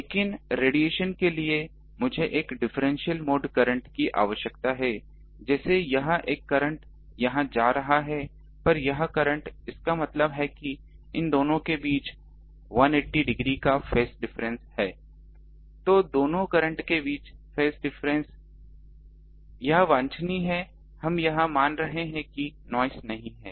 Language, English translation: Hindi, But for radiation I need a differential mode current like this one current is going here another current here; that means, there is a phase difference between them 180 degree phase difference between these two current, this should be there